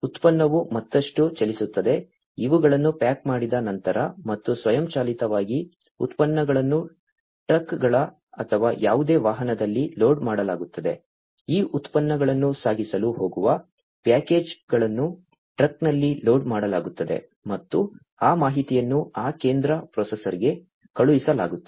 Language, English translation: Kannada, So, the product moves on further, after the these are packaged and automatically the products are loaded on the trucks or any vehicle, that is going to carry these products the packages are loaded on the truck and that information is also sent to that central processor